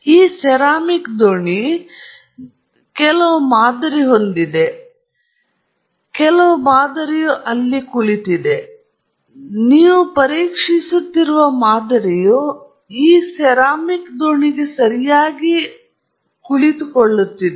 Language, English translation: Kannada, In this ceramic boat, you have some sample; some sample is sitting here; the sample that you are testing is sitting in this ceramic boat okay